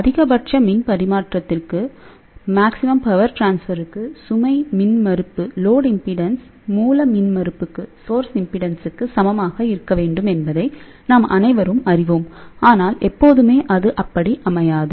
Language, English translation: Tamil, We all know that for maximum power transfer, the load impedance should be equal to source impedance, but that may not be always the case